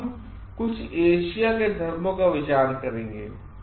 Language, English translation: Hindi, Now, let us look into some of the Asian religions